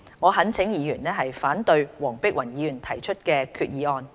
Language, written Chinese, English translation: Cantonese, 我懇請議員反對黃碧雲議員提出的決議案。, I implore Members to oppose the resolution proposed by Dr Helena WONG